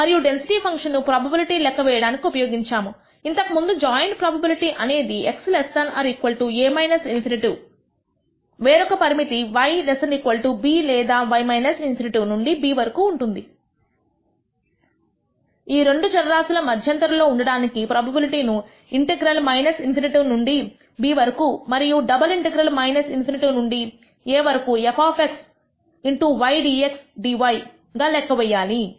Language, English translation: Telugu, And the way this density function is used to compute the probability is as before the joint probability that x is less than or equal to a minus in nity being the other assumed to be the other limit and y less than or equal to b or y ranging from minus infinity to b, the joint probability of these two variables lying in these intervals is denoted as computed as the integral minus infinity to b and double integral minus infinity to a f of x y dx dy